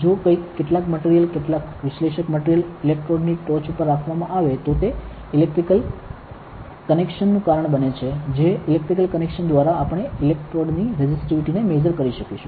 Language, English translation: Gujarati, So, if something some material some analyte is kept on top of this electrode, it would cause an electrical connection that through that electrical connection we will be able to measure the resistivity of the electrode